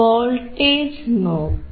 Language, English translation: Malayalam, See the voltage